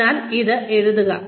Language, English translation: Malayalam, So, write this down